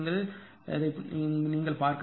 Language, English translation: Tamil, But you have to see this right